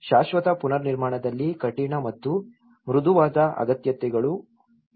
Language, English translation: Kannada, In the permanent reconstruction, there is also the hard and soft needs